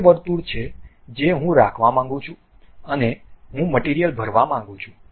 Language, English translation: Gujarati, This is the circle what I would like to have and I would like to fill the material